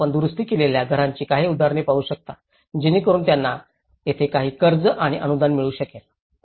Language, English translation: Marathi, What you can see here is some examples of the repaired houses so here they could able to procure some loans and subsidies